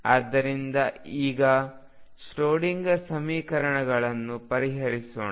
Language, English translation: Kannada, So, let us now solve this where writing the Schrodinger equations